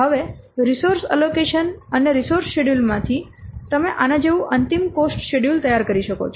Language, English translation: Gujarati, Now, from the resource allocation and the resource schedule you can prepare the final cost schedules like this